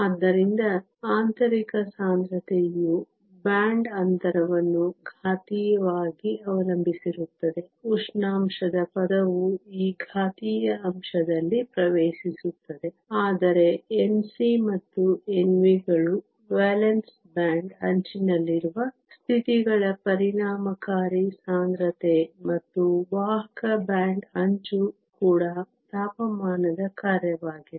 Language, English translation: Kannada, So, the intrinsic carrier concentration depends exponentially on the band gap; the temperature term enters in this exponential factor, but N c and N v which are the effective density of states at the valance band edge and the conduction band edge are also a function of temperature